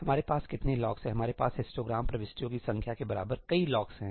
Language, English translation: Hindi, How many locks are we having we are having as many locks as the number of histogram entries